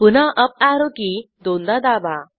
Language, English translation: Marathi, Again Press the up arrow key twice